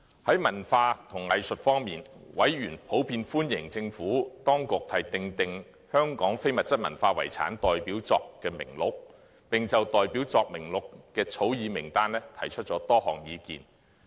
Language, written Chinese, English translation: Cantonese, 在文化及藝術方面，委員普遍歡迎政府當局訂定香港非物質文化遺產代表作名錄，並就代表作名錄的草擬名單提出多項意見。, As far as culture and the arts are concerned members in general welcomed the Governments initiative to draw up the Representative List of Local Intangible Cultural Heritage and expressed various views on the proposed Representative List